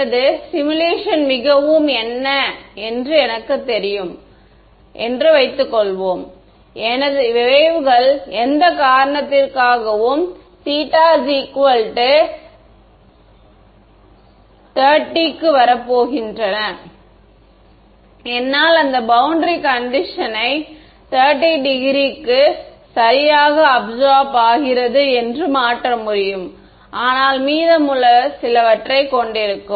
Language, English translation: Tamil, Supposing I know in that my simulation most of my waves are going to come at 30 degrees for whatever reason then, I can change this boundary condition such that 30 degrees gets absorbed perfectly, the rest will have some also, yeah